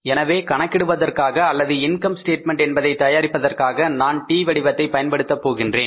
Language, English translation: Tamil, So for calculating the or preparing the income statement here, I will prepare a T format